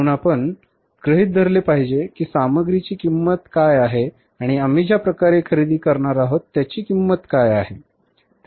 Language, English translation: Marathi, So, we have to assume that this is a cost of material and this is a cost of in a way purchases which we are going to make